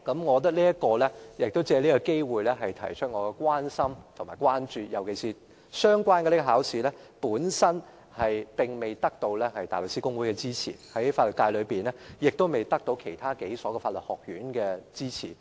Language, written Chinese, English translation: Cantonese, 我想借此機會表達我的關心和關注，尤其是這考試並未獲得大律師公會的支持，亦未獲得本地數所法律學院的支持。, I would like to take this opportunity to express my concern about this issue particularly this examination has yet to receive the support of the Bar Association and the law schools in Hong Kong